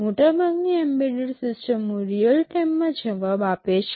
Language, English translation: Gujarati, Most embedded systems respond in real time